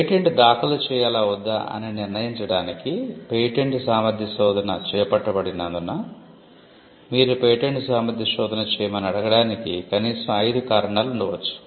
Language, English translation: Telugu, Since a patentability search is undertaken to determine whether to file a patent or not, there could be at least 5 reasons why you should order a patentability search